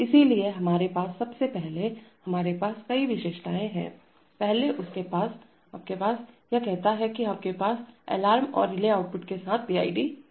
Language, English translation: Hindi, So we first have, we have several features, first with that, you have, it says that you have PID with alarm and relay outputs